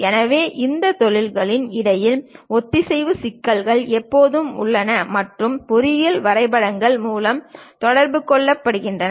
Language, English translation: Tamil, So, synchronization issues always be there in between these industries and that will be communicated through engineering drawings